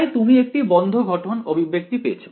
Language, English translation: Bengali, So, that you get a closed from expression